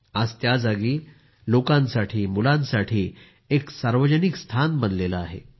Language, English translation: Marathi, Today that place has become a community spot for people, for children